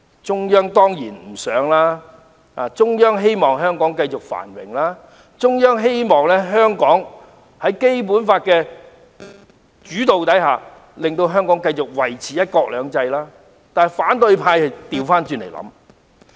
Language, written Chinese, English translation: Cantonese, 中央當然不希望如此，它希望香港可以繼續繁榮，在《基本法》的主導下繼續維持"一國兩制"，但反對派的想法卻相反。, It certainly goes against the wish of the Central Government . It hopes Hong Kong will continue to prosper and maintain one country two systems guided by the Basic Law . But the opposition camp thinks the opposite